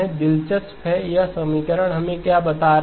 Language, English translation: Hindi, Interesting to visualize what exactly this equation is telling us